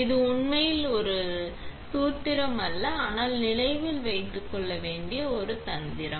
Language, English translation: Tamil, It is not really a formula, but it is a trick to remember